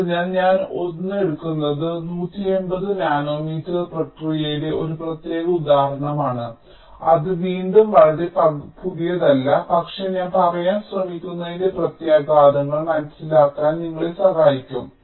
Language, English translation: Malayalam, so i am taking a means, a particular example of a one eighty nanometer process, which is again not very new, but this will help us in understanding the implications, what i am trying to say